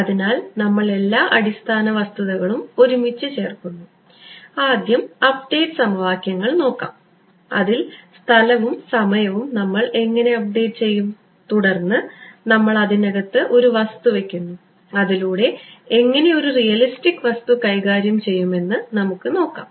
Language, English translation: Malayalam, So, we are putting together all the building blocks, first we look at update equations space and time how do we update, then we put a material inside how do we handle a realistic material